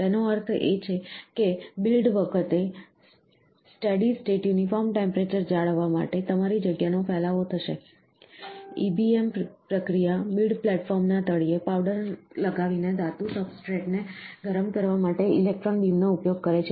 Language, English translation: Gujarati, So that means to say, you will have a spreading of your spot, in order to maintain a steady state uniform temperature throughout the build, the EBM process uses an electron beam to heat the metal substrate at the bottom of the build platform before laying the powder